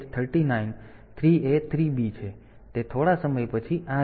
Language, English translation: Gujarati, So, it will go like this then after some time